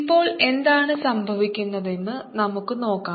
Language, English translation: Malayalam, let's see what happens now